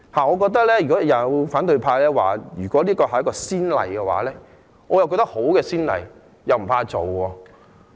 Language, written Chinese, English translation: Cantonese, 我覺得如果反對派議員說，這會打開一個先例，那麼我覺得這是一個好先例，不防打開。, If the opposition Members say that this will set a precedent I think that this will be a good precedent and I do not mind setting it